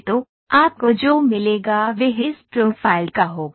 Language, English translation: Hindi, So, what you get will be this profile